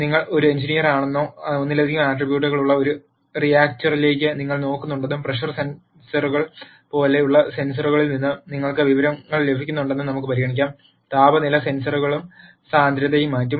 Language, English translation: Malayalam, Let us consider that you are an engineer and you are looking at a reactor which has multiple attributes and you are getting information from sensors such as pressure sensors, temperature sensors and density and so on